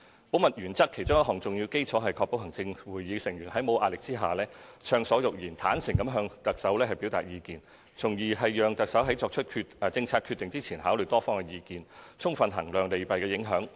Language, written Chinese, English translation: Cantonese, 保密原則其中一項重要基礎，是確保行政會議成員在沒有壓力下暢所欲言，坦誠地向行政長官表達意見，從而讓行政長官在作出政策決定前考慮多方意見，充分衡量利弊影響。, The principle of confidentiality is to ensure that the Executive Council Members without any pressure speak freely and honestly in giving advice to the Chief Executive thereby enabling the Chief Executive to listen to different views fully when assessing the pros and cons of policies